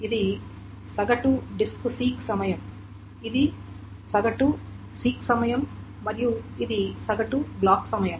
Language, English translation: Telugu, This is the average seek time and this is the average block time